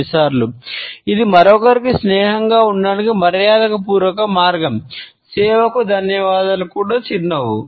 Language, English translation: Telugu, Sometimes, it is just a polite way to make someone else feel comfortable, thank service for the smile